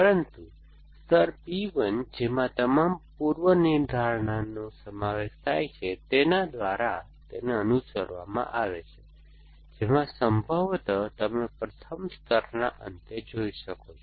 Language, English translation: Gujarati, But, followed by layer P 1, which consists of all the prepositions, which could possibly which you at the, at the end of the first layer essentially